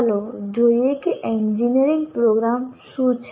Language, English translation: Gujarati, Let's see what engineering programs are